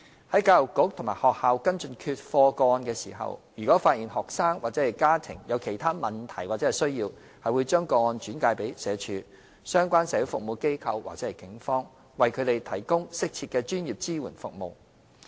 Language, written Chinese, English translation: Cantonese, 在教育局及學校跟進缺課個案時，如發現學生或其家庭有其他問題或需要，會將個案轉介至社署、相關社會服務機構或警方，為他們提供適切的專業支援服務。, In the course of following up the non - attendance cases by the Education Bureau or the schools if the students or their families are found to have problems or needs other than non - attendance the cases would be referred to SWD relevant social services agencies or the Police for provision of appropriate professional support services